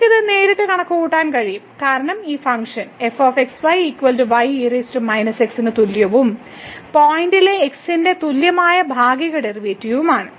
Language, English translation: Malayalam, We can also compute this directly because this function is given as is equal to power minus and the partial derivative with respect to at the point